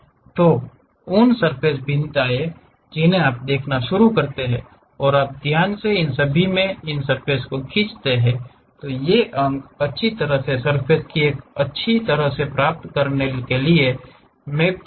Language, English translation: Hindi, So, that surface variations you start seeing and you carefully pull your surface in all these points, nicely mapped to get a smooth kind of surface